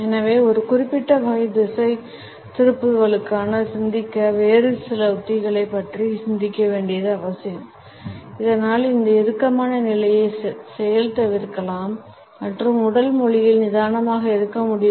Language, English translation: Tamil, And therefore, it becomes important to think of his certain other strategy to think for certain type of a diversion so that this clamped position can be undone and the person can be relaxed in body language